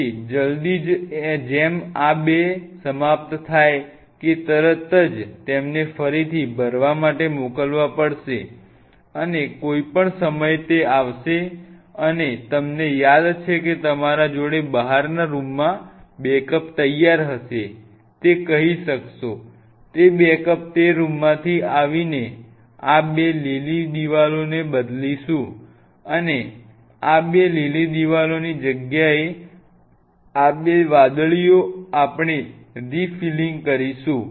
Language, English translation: Gujarati, So, as soon as these two are over will have to immediately send them for refill and in anytime this will come and from you remember on the outside you might told you that outer room you will have the backups ready, those backups from that room we will come and replace these two green walls and these two green one we will take the place of the blue ones, and these two blue ones we will go for refilling